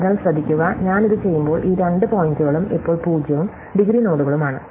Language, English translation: Malayalam, So, notice, that when I do this one, then these two points now are 0 indegree nodes